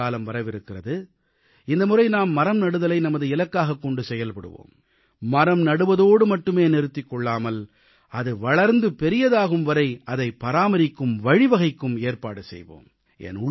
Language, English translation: Tamil, The rainy season is fast approaching; we can set a target of achieving record plantation of trees this time and not only plant trees but also nurture and maintain the saplings till they grow